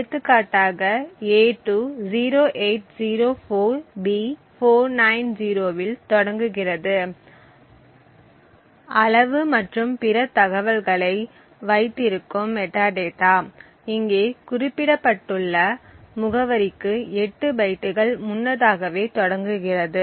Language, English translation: Tamil, So, for example a2 which starts at 0804B490 the metadata which holds the size and other information starts at the location 8 bytes before this, similarly for all other pointers